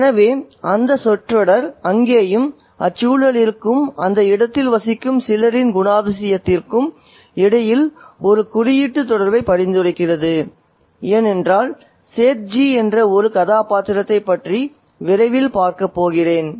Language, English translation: Tamil, So, I put that phrase there to suggest a symbolic connection there between the atmosphere and the quality of character of some of the people who inhabit that space, because we are going to see shortly about a character called SETG